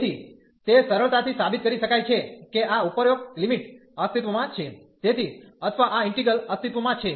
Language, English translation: Gujarati, So, it can easily be proved that this above limit exist, so or this integral exist